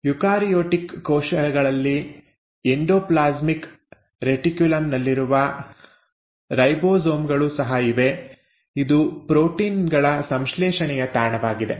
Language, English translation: Kannada, There are also ribosomes which are present on the endoplasmic reticulum in eukaryotic cells that is also a site for synthesis of proteins